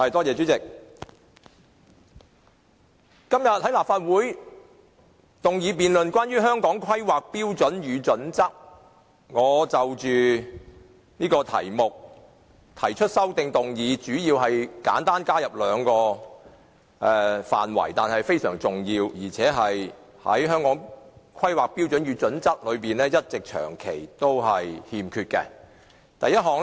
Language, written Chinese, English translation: Cantonese, 主席，今天討論的議案有關《香港規劃標準與準則》，我亦就該議題提出修正案，主要加入兩個非常重要和《規劃標準》長期欠缺的的範圍。, President the motion we are discussing today is related to the Hong Kong Planning Standards and Guidelines HKPSG and I have proposed an amendment to the motion mainly to include two very important points that HKPSG has all along failed to cover